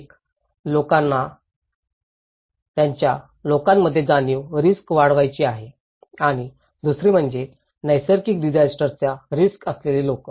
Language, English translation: Marathi, One, they want to make increase people risk awareness, another one is the people who are at risk of natural disasters